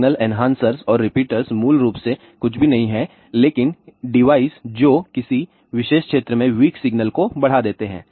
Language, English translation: Hindi, Signal enhancers and repeaters are basically nothing, but the deviser which amplify the weak signal in a given particular area